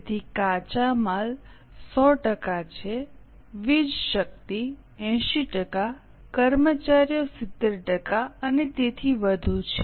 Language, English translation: Gujarati, So, raw material is 100%, power 80%, employee 70%, and so on